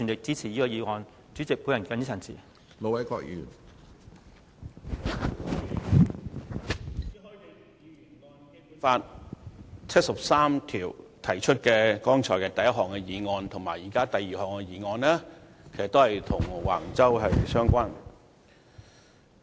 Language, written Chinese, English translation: Cantonese, 朱凱廸議員根據《基本法》第七十三條提出的第一項議案，以及現在的第二項議案，其實也與橫洲有關。, The first motion proposed by Mr CHU Hoi - dick under Article 73 of the Basic Law as well as the second motion now under discussion are related to Wang Chau